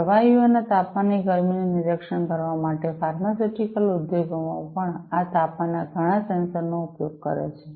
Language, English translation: Gujarati, Pharmaceutical industries also use a lot of these temperature sensors for monitoring the heat of the temperature of the liquids